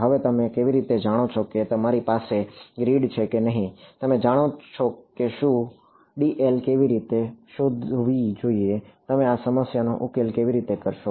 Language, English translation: Gujarati, Now how do you know whether you have grid this you know whether how find should be make dl, how would you approach this problem